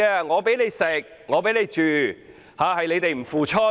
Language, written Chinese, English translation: Cantonese, 我給你吃，給你住，但你們不付出。, I have provided you with food and accommodation but you refuse to contribute